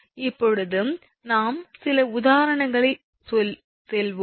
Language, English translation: Tamil, Now we will go for few examples right